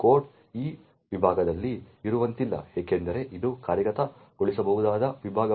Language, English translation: Kannada, Code cannot be present in that segment because it is not an executable segment